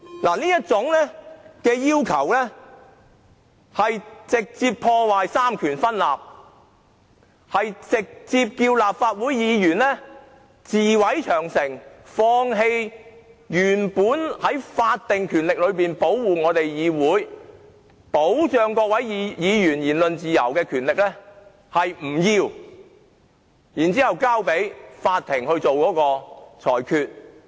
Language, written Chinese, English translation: Cantonese, 這種要求直接破壞三權分立，直接叫立法會議員自毀長城，放棄原本保護議會、保障各位議員言論自由的法定權力，由法庭代為作出裁決。, Such a request has directly undermined the separation of powers . We as Members are asked bluntly to burn our bridges by renouncing the statutory power which originally protects the Council and safeguards freedom of speech of Members so that the Court will deliver its ruling on our behalf